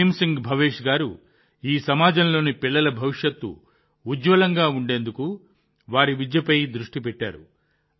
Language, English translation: Telugu, Bhim Singh Bhavesh ji has focused on the education of the children of this community, so that their future could be bright